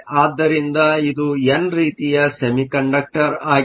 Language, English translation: Kannada, So, it is an n type semiconductor